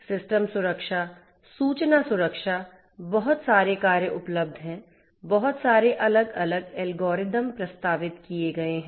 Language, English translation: Hindi, System security, information security; lot of works are available, lot of different algorithms have been proposed